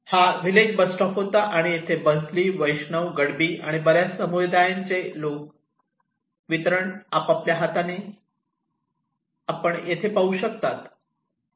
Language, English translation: Marathi, This was the village bus stop and here a lot of Banshali, Baishnab, Gadbi, so lot of distribution of communities are you can see here